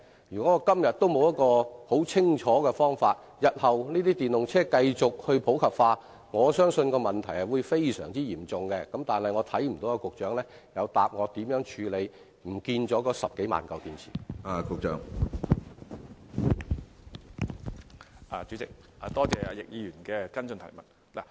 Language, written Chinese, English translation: Cantonese, 如果今天仍沒有一個清楚的處理方法，日後當電動車繼續普及，我相信問題會變得非常嚴重，但我聽不到局長有就如何處理那消失了的10多萬枚電池作出答覆。, If the Government still lacks a clear way for handling the batteries I believe the problem will become very serious with the continuous popularization of EVs in future but I do not hear the Government giving a reply on how those 100 000 - odd missing batteries are handled